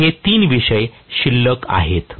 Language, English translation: Marathi, So, these are the 3 topics that are left over